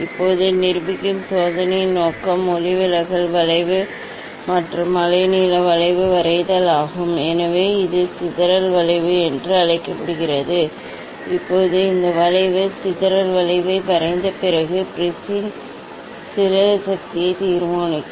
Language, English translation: Tamil, our aim of the experiment which will demonstrate now is draw refractive index versus wavelength curve, so that is called the dispersive curve, Now, after drawing this curve dispersive curve, determine the dispersive power of the prism